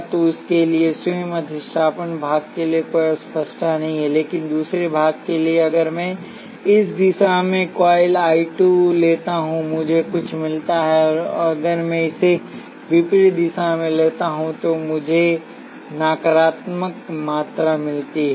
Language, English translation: Hindi, So, there is no ambiguity for the self inductance part for this itself, but for the second part if I take coil 2 I 2 in this direction, I get something and if I take it in the opposite direction, I get the negative quantity